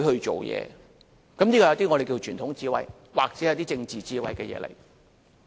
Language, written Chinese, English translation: Cantonese, 這是屬於一些我們稱為傳統智慧，或是政治智慧的事情。, This is the traditional wisdom or political wisdom as we call it